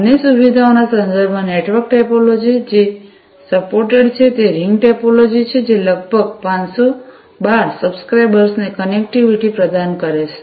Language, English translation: Gujarati, So, in terms of other features network topology that is supported is the ring topology, which will provide connectivity to about 512 subscribers